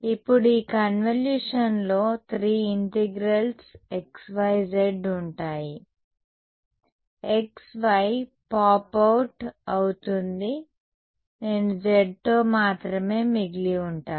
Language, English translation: Telugu, Now, off these when I this convolution will have 3 integrals xyz; x y will pop out right I will only be left with z right